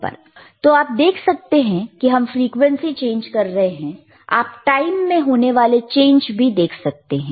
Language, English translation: Hindi, So, you can also see that when we are changing frequency, you will also be able to see the change in time